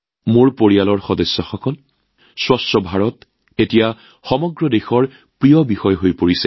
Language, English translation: Assamese, My family members, 'Swachh Bharat' has now become a favorite topic of the entire country